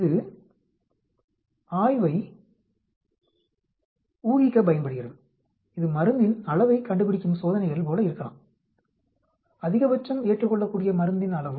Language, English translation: Tamil, It is used to infer from the study, it could be like dose finding trials: maximum tolerable dose